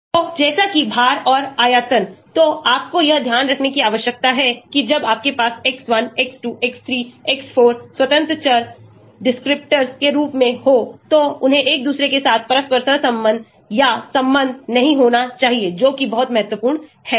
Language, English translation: Hindi, So, like molecular weight and volume, so you need to keep in mind that when you have x1, x2, x3, x4 as independent variables /descriptors, they should not be interrelated or correlated with each other that is very, very important